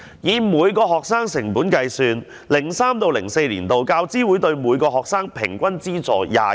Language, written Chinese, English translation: Cantonese, 以每名學生成本計算 ，2003-2004 年度，教資會對每名學生的平均資助是萬元。, If it is calculated on a per capita basis in 2003 - 2004 the average UGC grant amount each student could get was 210,000